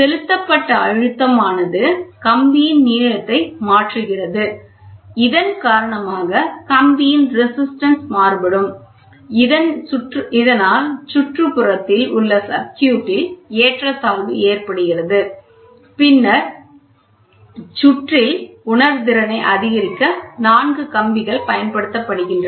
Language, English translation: Tamil, The applied pressure just changes the length of the wire due to which the resistance of the wire varies causing an imbalance in the bridge, the four wires are used to increase the sensitivity of the bridge